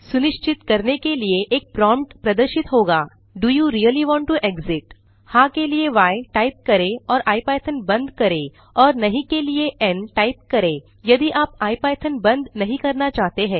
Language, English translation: Hindi, A prompt will appear to confirm whether you really want to exit, type y to say yes and quit ipython and n to say no if you dont want to quit the ipython